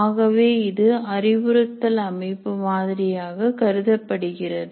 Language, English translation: Tamil, So it should be treated as we said, instructional system design model